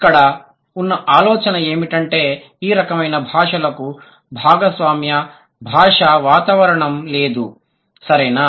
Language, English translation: Telugu, The idea here is that these languages, they do not have any shared linguistic environment, right